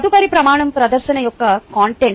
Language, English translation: Telugu, the next criteria is content of presentation